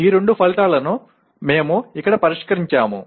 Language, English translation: Telugu, These are the two outcomes that we will address here